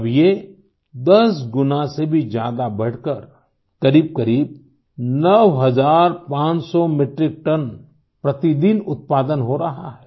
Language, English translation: Hindi, Now, it has expanded to generating more than 10 times the normal output and producing around 9500 Metric Tonnes per day